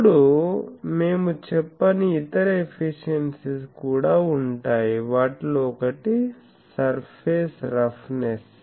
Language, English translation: Telugu, Now, there will be other efficiencies also which we have not said, one of that is the surface roughness